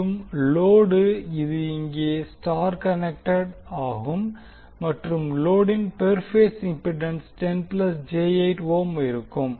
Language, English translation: Tamil, Load we can see that it is star connected again where the per phase impedance of the load is 10 plus j8 ohm